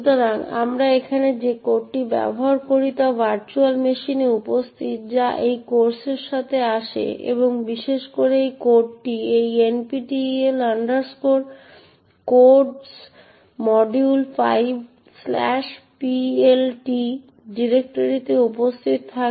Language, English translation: Bengali, So, the code we use over here is a present in the virtual machine that comes along with this course and this code in particular is present in this directory nptel codes module 5 PLT